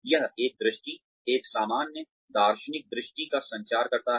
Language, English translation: Hindi, It communicates a vision, a general philosophical vision